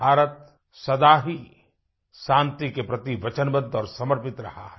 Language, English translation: Hindi, India has always been resolutely committed to peace